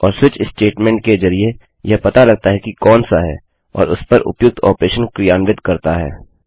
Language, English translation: Hindi, And through a switch statement it detects which one and performs the relevant operation to it